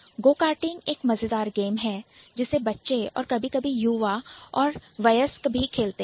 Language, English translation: Hindi, Go karting is a kind of fun game that the kids sometimes the young adults also play